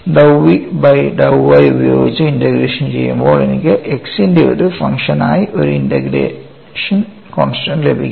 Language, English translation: Malayalam, So, when I go to dou v by dou y when I integrate, I get a integration constant as function of x